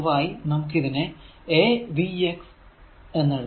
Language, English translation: Malayalam, So, that is why it is written say v x